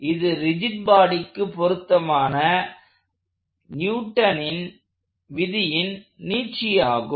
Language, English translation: Tamil, So, this is direct extension of Newton's laws to rigid bodies